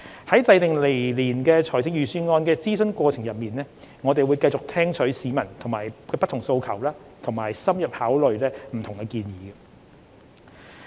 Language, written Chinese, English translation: Cantonese, 在制訂來年財政預算案的諮詢過程中，我們會繼續聽取市民的不同訴求和深入考慮不同建議。, During the consultation exercise for next years Budget we will continue to gauge different views from the public and thoroughly consider different suggestions